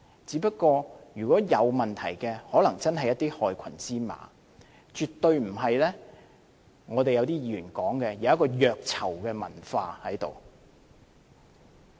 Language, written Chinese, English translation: Cantonese, 只是如果有問題，可能真是有一些害群之馬，絕對不是好像一些議員所說，有一個虐囚的文化存在。, The problem if there is any is only caused by some black sheep and the culture of violence against inmates as mentioned by some Members does not exist at all